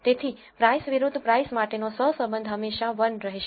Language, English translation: Gujarati, So, the correlation for price versus price will always be 1